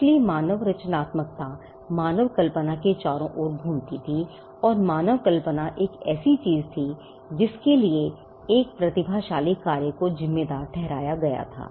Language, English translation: Hindi, So, human creativity revolved around human imagination and human imagination was something that was attributed to the work of a genius